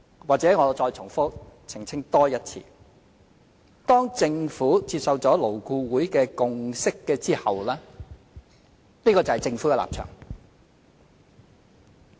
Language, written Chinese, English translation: Cantonese, 或許我再澄清一次：當政府接受了勞工顧問委員會的共識後，這個就是政府的立場。, Let me clarify once again after the Government has accepted the consensus of the Labour Advisory Board LAB it becomes the Governments stance